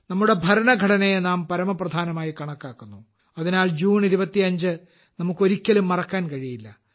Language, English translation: Malayalam, We consider our democratic ideals as paramount, we consider our Constitution as Supreme… therefore, we can never forget June the 25th